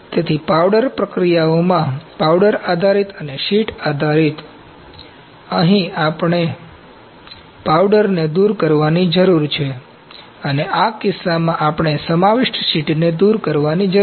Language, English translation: Gujarati, So, in powder processes, powder based and sheet based, here we need to remove powder and in this case we need to remove the encapsulated sheet